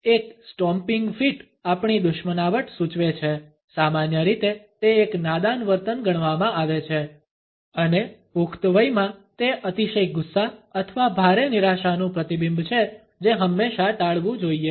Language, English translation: Gujarati, A stomping feet suggests our hostility normally it is considered to be a childish behaviour and in adults; it is a reflection of an extreme anger or an extreme disappointment which should always be avoided